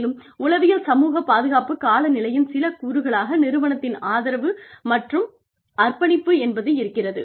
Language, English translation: Tamil, And, some of the elements of psychosocial safety climate are, management support and commitment